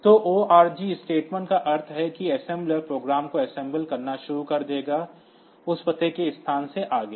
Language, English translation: Hindi, So, ORG statements means that the assembler will start, assembling the program, from that address onwards